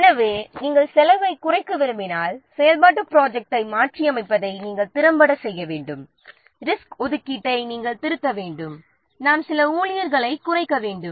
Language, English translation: Tamil, So, if you want to reduce cost, then effectively you have to what revise the activity plan, you have to revise the resource allocation, might we have to reduce some of the staff members or so